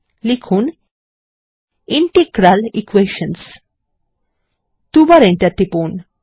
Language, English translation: Bengali, Type Integral Equations: and press enter twice